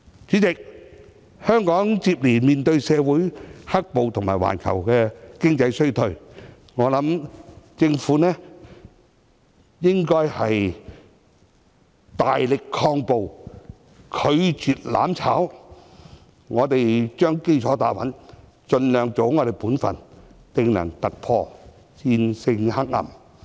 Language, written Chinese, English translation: Cantonese, 主席，香港接連面對社會"黑暴"及環球經濟衰退，我認為政府應該大力抗暴，拒絕"攬炒"，我們將基礎打穩，盡量做好本分，定能突破，戰勝黑暗。, President Hong Kong has suffered blows dealt by the black violence and the global economic recession one after the other . I think the Government should make vigorous efforts to fight violence and refuse to burn together . If we lay a solid foundation for development and strive to perform our own duties we will surely make a breakthrough in overcoming darkness